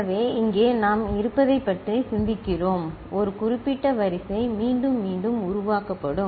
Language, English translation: Tamil, So, here we are thinking about we are that a particular sequence will be generated repetitively ok